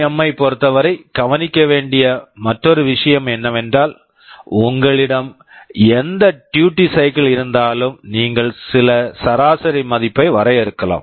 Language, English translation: Tamil, Another thing to note with respect to PWM is that whatever duty cycle you have, you can define some average value